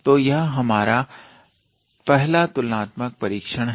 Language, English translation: Hindi, So, this is first comparison test